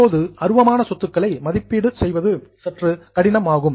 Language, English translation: Tamil, Now, valuation of intangible assets is bit difficult